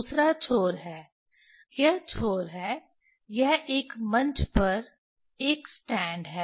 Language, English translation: Hindi, Other end is, this end is stand this is a stand on a on a platform